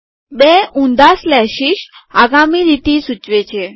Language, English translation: Gujarati, Two reverse slashes indicate next line